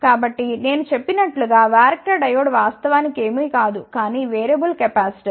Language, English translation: Telugu, So, as I mention Varactor Diode is actually nothing, but a variable capacitor